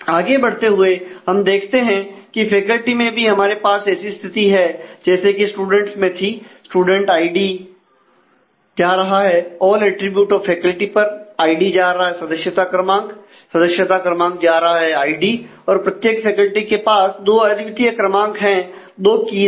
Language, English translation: Hindi, Moving on look at the faculty we have a very similar situation as of the student id determines all attributes of the faculty member number is also determine from id member number in turn determines id every faculty has two unique numbers two keys